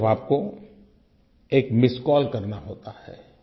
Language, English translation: Hindi, All you have to do is to give a missed call